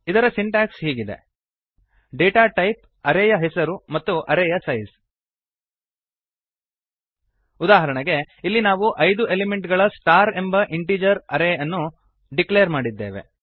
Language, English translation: Kannada, The Syntax for this is: data type,, size is equal to elements example, here we have declared an integer array star with size 3